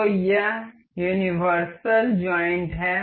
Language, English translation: Hindi, So, this is universal joints